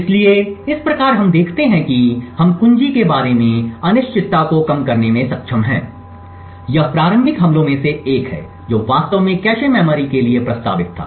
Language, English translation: Hindi, So, thus we see that we have been able to reduce the uncertainty about the key, this is one of the initial attacks that was actually proposed for cache memory